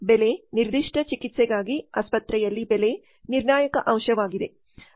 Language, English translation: Kannada, The price the pricing is a crucial factor in hospital for a particular treatment